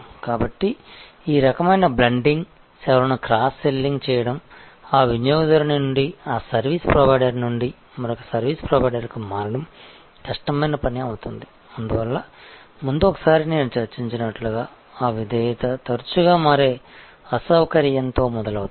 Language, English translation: Telugu, So, this kind of bundling, cross selling of services, it makes a switching from that customer that service provider to another service provider a difficult task and therefore, as I discussed once before that loyalty often starts with inconvenience of switching